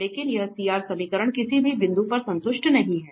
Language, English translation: Hindi, But here the CR equations are not satisfied at any point